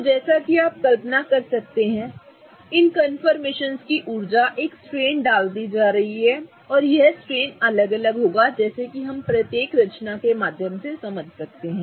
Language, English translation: Hindi, Okay, so as you can imagine the energies of these confirmations are going to put a strain and that strain will vary as we go through each confirmation